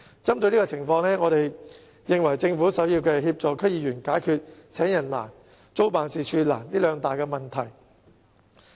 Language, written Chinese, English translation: Cantonese, 針對這種情況，我們認為政府首要是協助區議員解決"請人難"、"租辦事處難"這兩大難題。, To address such a situation I believe that first of all the Government has to take measures to help DC members solve the two major problems of difficulty in staff recruitment and difficulty in renting offices